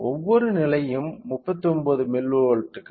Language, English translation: Tamil, So, each level is of 39 milli volts